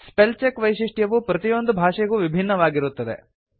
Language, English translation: Kannada, The spell check feature is distinct for each language